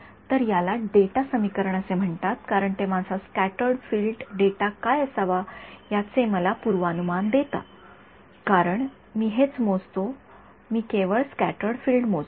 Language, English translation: Marathi, So, this is called the data equation because it is giving me a prediction of what my scattered field data should be; because that is what I measure I only measure scattered field